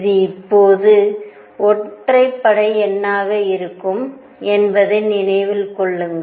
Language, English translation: Tamil, And keep in mind this will be always be odd number